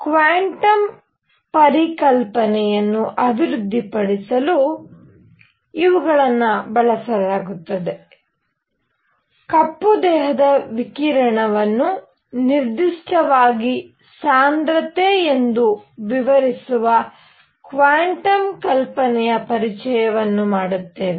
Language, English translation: Kannada, These are ideas that will be used then to develop the concept of quantum; introduction of quantum hypothesis explaining the black body radiation as specifically density